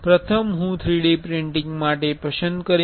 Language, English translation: Gujarati, First, I will select for 3D printing